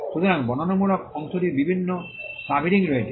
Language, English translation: Bengali, So, the descriptive part has various subheadings